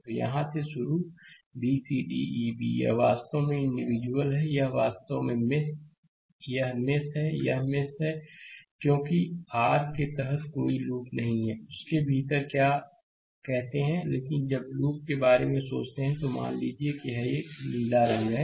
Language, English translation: Hindi, So, starting from here b c d e b, right, this is actually individual, this is actually mesh, this is a mesh, this is mesh because there is no no loop under your; what you call within that, but when you think about loop, then suppose I have making it, just it is a blue color